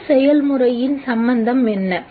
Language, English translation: Tamil, What is the relevance of this process